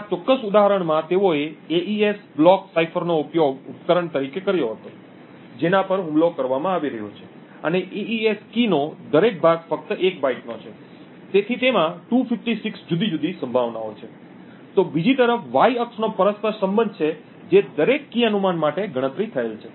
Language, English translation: Gujarati, So in this particular example they had used the AES block cipher as the device which is being attacked and each part of the AES key is just of 1 byte and therefore has 256 different possibilities, so the Y axis on the other hand has the correlation which is computed for each key guess